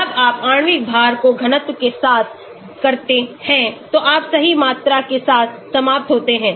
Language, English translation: Hindi, When you do molecular weight with density of course you end up with volume right